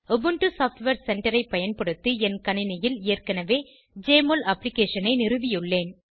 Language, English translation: Tamil, I have already installed Jmol Application on my system using Ubuntu Software Center